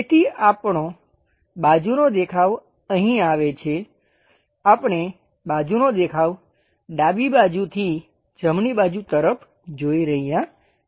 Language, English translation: Gujarati, So, our side view comes here here we are looking from side view from left direction to right direction